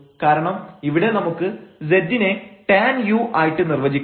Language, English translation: Malayalam, So, we have z is equal to tan u